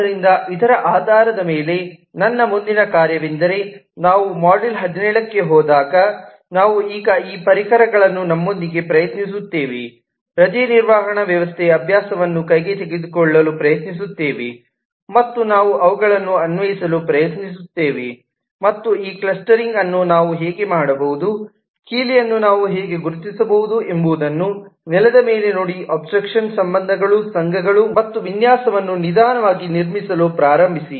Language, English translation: Kannada, so, based on this, our next task as we go into the module 17 onwards we would now try to, with this tools at our hand will take up the leave management system exercise and we will try to apply them and see actually on the ground how we can do this clustering, how we can identify the key abstraction relationships, associations and slowly start building up the design